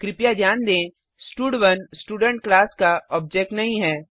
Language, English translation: Hindi, Please note that stud1 is not the object of the Student class